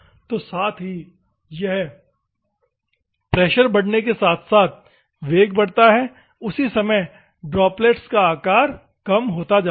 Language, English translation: Hindi, So, at the same time, it will send that is how the pressure in the velocity increases, at the same time droplet size, decreases